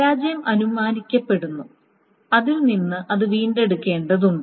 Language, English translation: Malayalam, Failure is assumed and then that needs to be recovered from that